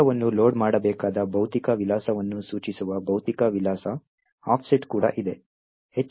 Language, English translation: Kannada, There is also physical address offset which specifies, which physical address that the segment should be loaded